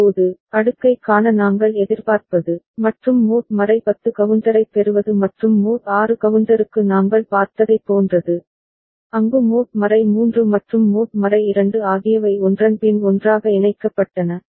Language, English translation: Tamil, Now, what we expect to see the cascading, and getting mod 10 counter and like what we saw for mod 6 counter, where mod 3 and mod 2 were put together one after another